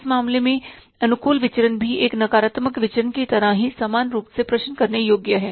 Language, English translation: Hindi, In this case, favorable variance is also equally, means questionable as the negative variance